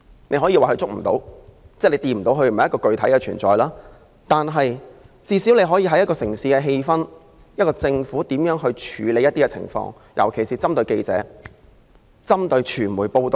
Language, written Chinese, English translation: Cantonese, 你可以說它觸摸不到，不是具體的存在，但你最少可以從一個城市的氣氛，感受到這個城市是否擁有這種自由。, You can say it is intangible as its existence is not physical but one can at least tell whether a city has freedom of the press from its atmosphere